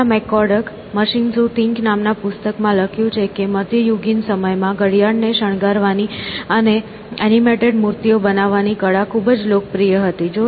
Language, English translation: Gujarati, So, Pamela McCorduck writes in a book “Machines Who Think” that in medieval times art of making clocks decorated and animated figures was very popular essentially